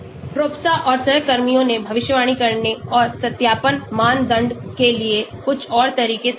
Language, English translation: Hindi, Tropsha and co workers also suggested some more approaches for predicting and validation criteria